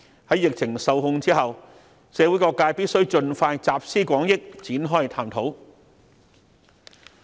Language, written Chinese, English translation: Cantonese, 在疫情受控後，社會各界必須盡快集思廣益，展開探討。, Once the epidemic has subsided all sectors of the community must come together to commence discussion